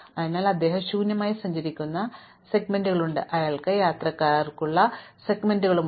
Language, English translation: Malayalam, So, there are segments where he travels empty, there are segments where he has passengers